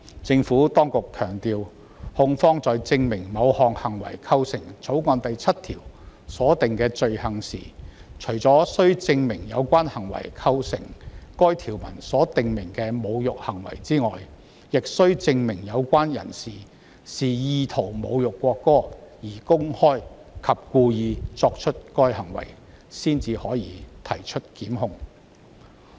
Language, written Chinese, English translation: Cantonese, 政府當局強調，控方在證明某行為是否構成《條例草案》第7條所訂的罪行時，除須證明有關行為構成該條文所訂明的侮辱行為外，還須證明有關的人是意圖侮辱國歌而公開及故意作出該行為，然後才可提出檢控。, The Administration has stressed that in proving that certain act amounts to an offence under clause 7 of the Bill apart from proving that the conduct constitutes an insulting act stipulated the prosecution must also prove that the person concerned has intent to insult the national anthem and performs such act publicly and intentionally before prosecution can be instituted